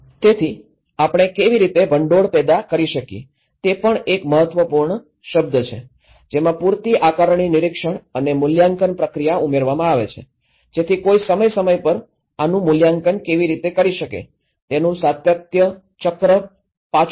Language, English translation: Gujarati, So, how we can generate funding is also important term, having added adequate assessment monitoring and evaluation procedure, so which goes back again to have a continuity cycle of how periodically one can assess this